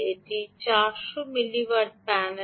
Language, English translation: Bengali, ok, this is four hundred milliwatt panel